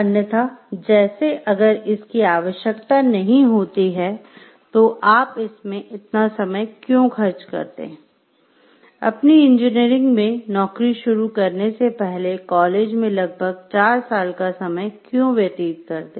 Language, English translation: Hindi, Otherwise like if it is not required then why do you spend so, much time in may be nearly four years in college to get to start your job in engineering